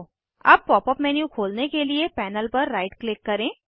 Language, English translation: Hindi, Now, right click on the panel, to open the Pop up menu